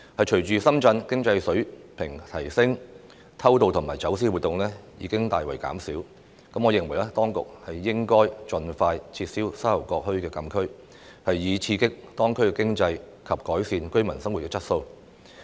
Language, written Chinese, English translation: Cantonese, 隨着深圳經濟水平提升，偷渡及走私活動已大為減少，我認為當局應盡快撤銷沙頭角墟禁區，以刺激當區經濟及改善居民生活質素。, As illegal immigration and smuggling activities have substantially reduced with the improved economic standards of Shenzhen I think the authorities should abolish the closed area of Sha Tau Kok Town as soon as possible to stimulate the local economy and improve the quality of life of the residents